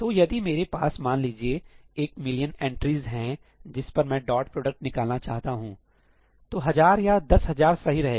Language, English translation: Hindi, So, if I have, let us say, a million entries that I want to compute the dot product over, thousand or ten thousand would be good enough